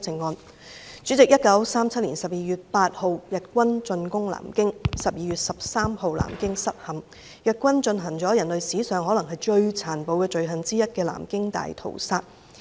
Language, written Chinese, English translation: Cantonese, 代理主席，日軍在1937年12月8日進攻南京 ，12 月13日南京失陷，日軍進行了可能是人類史上最殘暴的罪行之一"南京大屠殺"。, Deputy President the Japanese armies invaded Nanjing on 8 December 1937 and the fall of Nanjing took place on 13 December that year . The Nanjing Massacre committed by the Japanese armies may be one of the most brutal crimes in human history